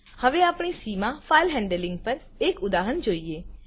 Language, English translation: Gujarati, Now let us see an example on file handling in C